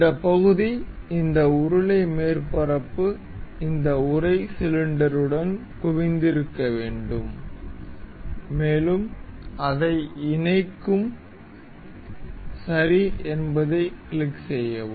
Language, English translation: Tamil, This part, this cylindrical surface needs to be concentrated with this casing cylinder and will mate it up, click ok, nice